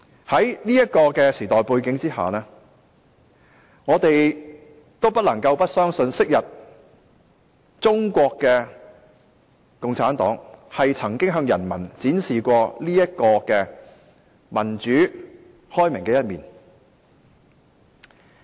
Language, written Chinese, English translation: Cantonese, 在現時這個時代背景之下，我們或許不相信昔日中國共產黨曾經向人民展示如此民主和開明的一面。, Given the background of our time we may find it difficult to believe that the Communist Party of China used to show such a democratic and open side to the people